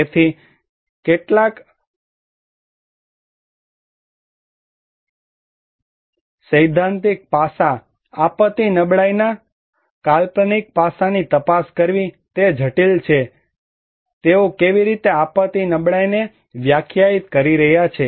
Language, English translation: Gujarati, So, therefore, it is critical to look into some of the critical, theoretical aspect, conceptual aspect of disaster vulnerability that how they are defining disaster vulnerability